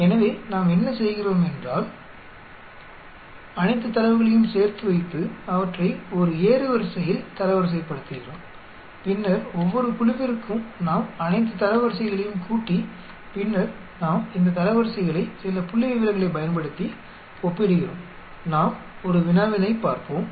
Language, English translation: Tamil, So, what we do is we put all the data together, we rank them in an ascending order and then for each group we sum up all the ranks and then we compare these ranks using some statistic, let us look at a problem